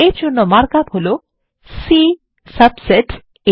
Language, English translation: Bengali, The mark up for this is C subset A